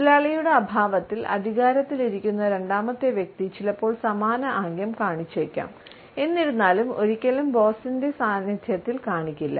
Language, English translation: Malayalam, If the boss is only if the second person in command may sometimes adopt the same gesture; however never in the presence of the boss